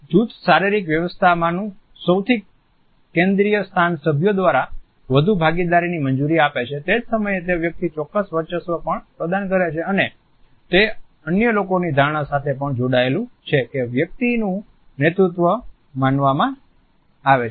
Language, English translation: Gujarati, The most central location in a group physical arrangement allows for greater participation by the members, at the same time it also provides a certain dominance to a person and it is also linked with the perception of other people that the leadership of that individual is being perceived